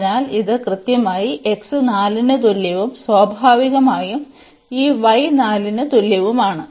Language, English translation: Malayalam, So, this is exactly x is equal to 4 and naturally this y is equal to 4